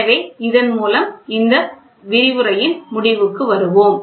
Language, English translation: Tamil, So, with this we will come to an end of this lecture